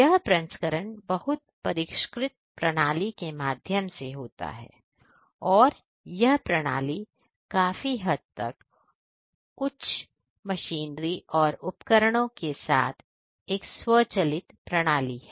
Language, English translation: Hindi, And this processing happens through a very sophisticated system and this system is to a large extent an automated system with high end machinery and instruments ah